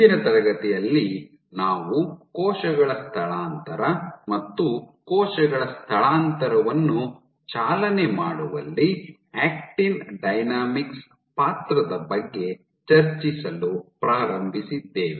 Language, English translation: Kannada, So, in the last class we have been started to discussing about cell migration and the role of actin dynamics in driving cell migration